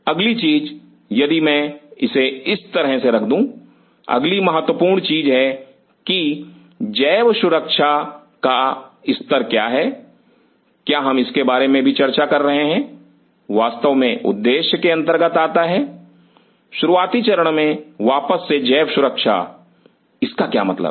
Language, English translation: Hindi, Next thing if I put this as E next important thing is that what is the level of biosafety are we talking about say and this of course, comes in the objective in the beginning level of once again biological safety, what does that mean